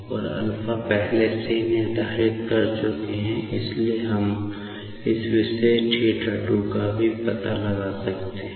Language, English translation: Hindi, And, alpha we have already determined, so we can find out this particular theta 2